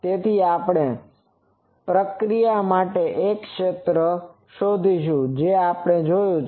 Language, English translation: Gujarati, So, we will find the field for a one that procedure today we have seen